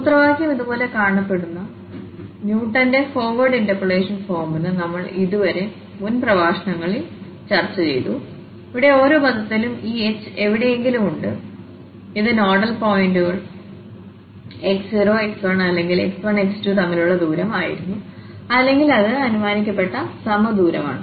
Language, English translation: Malayalam, So far we have discussed in previous lectures the Newton's forward interpolation formula where the formula looks like this one, where we have somewhere there in each term this h, which was the distance between the nodal points x naught x 1 or x 1 x 2, and it was assumed that they are equidistant